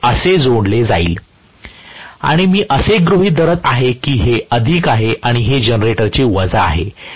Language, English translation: Marathi, This is how it will be connected, and I am assuming that this is plus, and this is minus of the generator